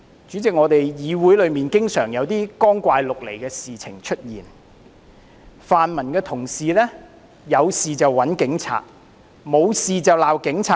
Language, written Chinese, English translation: Cantonese, 主席，議會內經常有一些光怪陸離的事情出現，泛民同事"有事就找警察，沒事就罵警察"。, President strange things happen in this Council all the time . Honourable colleagues of the pan - democratic camp turn to the Police in times of trouble and upbraid them in times of peace